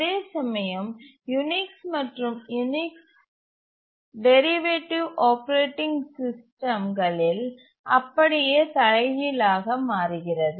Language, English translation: Tamil, Whereas in Unix and the Unix derivative operating systems, the exactly reverse is the convention